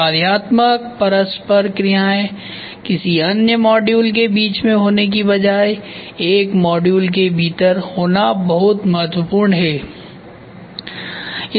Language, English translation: Hindi, Functional interactions occurs within rather than between modules functional interaction occurs within very important between modules rather than between module